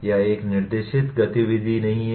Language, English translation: Hindi, It is not a guided activity